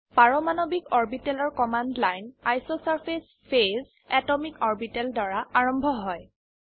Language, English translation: Assamese, The command line for atomic orbitals starts with isosurface phase atomicorbital